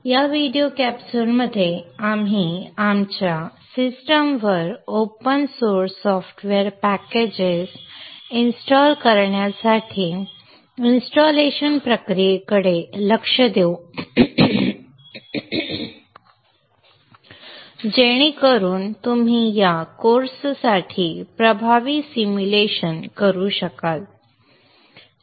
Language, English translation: Marathi, In this video capsule we shall look into the open source software packages onto our system such that we will be able to make effective simulation for this course